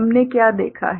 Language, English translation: Hindi, What we have seen